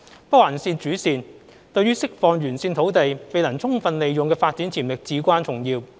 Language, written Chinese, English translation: Cantonese, 北環線主線對於釋放沿線土地未能充分利用的發展潛力至關重要。, The main line of NOL is of paramount importance to unleash the development potential which is unable to be put to full use along its alignment